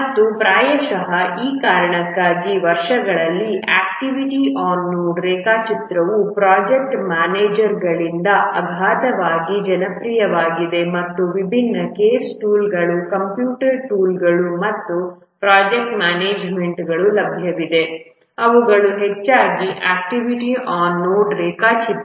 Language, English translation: Kannada, And possibly for that reason over the years activity on node diagram have become very popular used overwhelmingly by the project managers, very simple, and also the different case tools, the computer tools on project management that are available, they also use largely the activity on node diagram